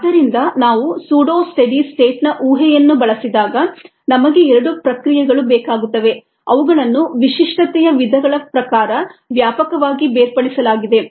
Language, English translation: Kannada, so whenever we use the pseudo study states assumption, we need two processes which are widely separated in terms of the characteristic types